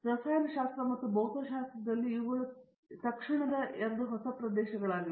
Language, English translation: Kannada, In chemistry and physics, these are the two immediate areas